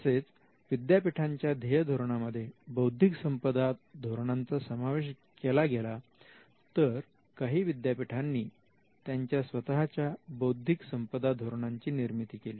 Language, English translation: Marathi, So, the intellectual property policy was also embedded in the mission statements of these universities and some universities also created their own intellectual property policy